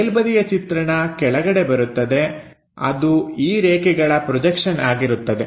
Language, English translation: Kannada, So, top view comes at bottom level that will be projection of these lines